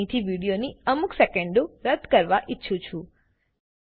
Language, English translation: Gujarati, I want to remove a few seconds of video from here